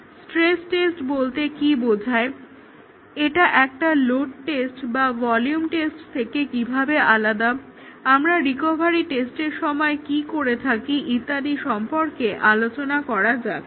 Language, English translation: Bengali, What do you mean by stress test, how is it different from a load test, how is it different from a volume test, what do we do during a recovery test and so on